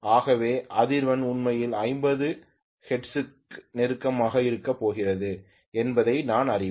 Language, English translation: Tamil, Similarly, the frequency if I say it is 50 hertz, it should remain at 50 hertz